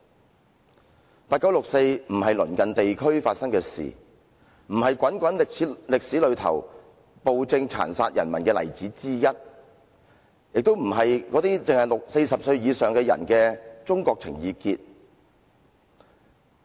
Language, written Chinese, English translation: Cantonese, 1989年的六四事件不只是鄰近地區發生的事，不只是滾滾的歷史長河裏暴政殘殺人民的例子之一，亦不只是40歲以上的人的中國情意結。, The 4 June incident in 1989 was not merely an incident which took place in a neighbouring region or an instance involving a tyrannys brutal killing of its people in our long history . Neither is it a mere complex for China among people aged above 40